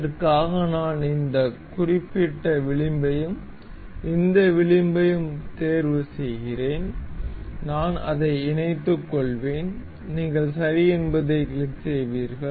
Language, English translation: Tamil, For this we I am selecting the this particular edge and this edge, I will mate it up, you will click ok